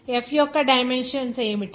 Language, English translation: Telugu, What are the dimensions of f